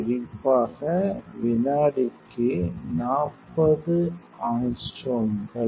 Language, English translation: Tamil, 40 angstroms per second specifically